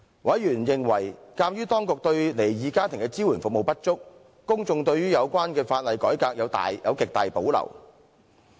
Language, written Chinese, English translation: Cantonese, 委員認為，鑒於當局對離異家庭的服務支援不足，公眾對於有關的法律改革有極大保留。, Members took the view that the public had great reservation about the law reform in view of insufficient provision of service support for divorced families